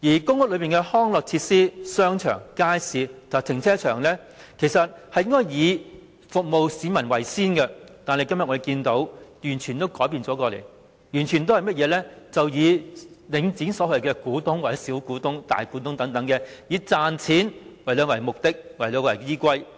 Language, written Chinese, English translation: Cantonese, 公屋的康樂設施、商場、街市及停車場應該以服務市民為先，但我們今天看到的已經完全改變，完全是以領展所謂的"股東"、"小股東"或"大股東"為先，以賺錢為目的和依歸。, Recreational facilities shopping arcades and car parks in public housing estates should give priority to serving the public but from what we have seen now this has completely changed in that priority is given entirely to the so - called shareholders small shareholders or big shareholders of Link REIT and profit - making is made the objective and guiding principle